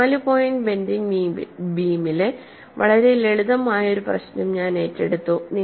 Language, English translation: Malayalam, I took up a very simple problem of a beam under four point bending